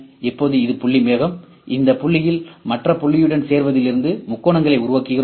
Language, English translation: Tamil, Now, this is the point cloud, we will make triangle out of this joining a point with other point we are make the triangles ok